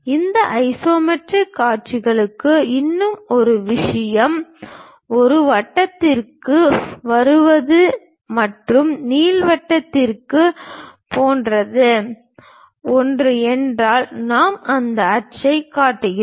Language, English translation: Tamil, One more thing for these isometric views, if it is something like coming from circle and ellipse kind of thing we show those axis